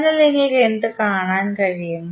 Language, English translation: Malayalam, So, what you can see